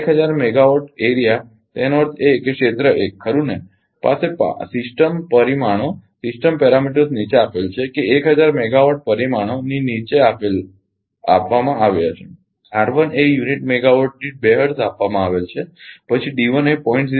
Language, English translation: Gujarati, The 1000 megawatt area; that means, area 1 right has the system parameters given below that 1000 megawatt parameters are given below R 1 is given 2 hertz per unit megawatt then D 1 is given 0